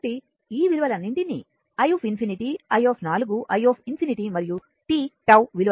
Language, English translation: Telugu, So, if you put all these value i infinityi 4 i infinity and t your tau value